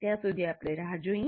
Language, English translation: Gujarati, Until then we will wait